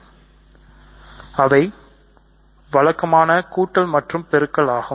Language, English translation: Tamil, So, they are the usual addition and multiplication right